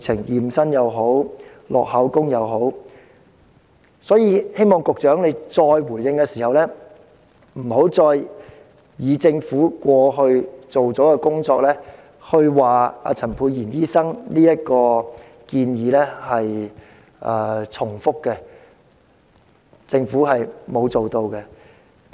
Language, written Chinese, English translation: Cantonese, 因此，我希望局長稍後再回應時不要指政府過去已進行工作，因此陳沛然議員的建議已屬重複，其實政府並沒有進行有關工作。, Therefore I hope that when the Secretary gives a further reply later on he can stop saying that the Government has done its job all along and dismissing Dr Pierre CHANs proposals as a duplicate of its existing efforts . The fact is that the Government has not undertaken the relevant work